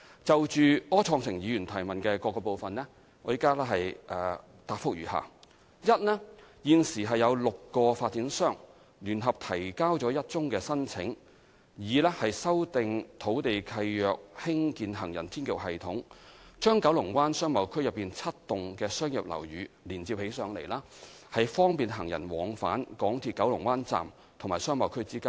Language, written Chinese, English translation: Cantonese, 就柯創盛議員質詢的各部分，現答覆如下：一現時已有6個發展商聯合提交了1宗申請，擬修訂土地契約興建行人天橋系統，把九龍灣商貿區內7幢商業樓宇連接起來，方便行人往返港鐵九龍灣站及商貿區之間。, On the various parts of the question from Mr Wilson OR the reply is as follows 1 Currently six developers have submitted a joint application for lease modifications to construct an elevated walkway system connecting seven commercial buildings in KBBA to make pedestrian movements between the MTR Kowloon Bay Station and KBBA more convenient